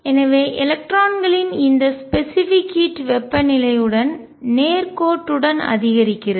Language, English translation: Tamil, So, this specific heat of the electrons increases linearly with temperature